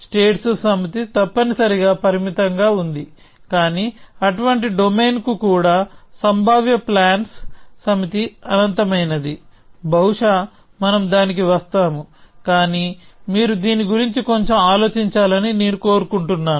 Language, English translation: Telugu, So, the set of states is finite essentially, but even for such a domain, the set of possible plans is infinite; maybe we will come to that, but I want you to think about this a little bit, okay